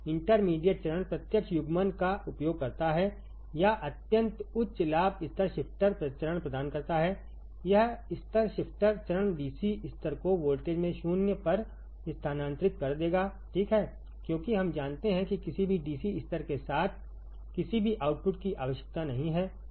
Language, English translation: Hindi, Intermediate stage used direct coupling or providing extremely high gain level shifter stage this level shifter stage will shift the DC level at the voltage to 0, right because we know do not require any output with any the DC level